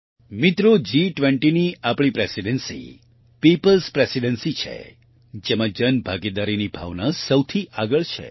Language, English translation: Gujarati, Friends, Our Presidency of the G20 is a People's Presidency, in which the spirit of public participation is at the forefront